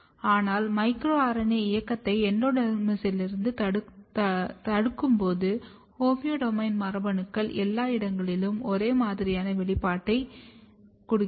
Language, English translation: Tamil, But when you induce when you block the micro RNA movement from endodermis, you can see that homeodomain genes are getting expressed everywhere uniformly